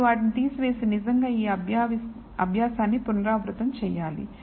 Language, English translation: Telugu, You remove them and then you actually have to redo this exercise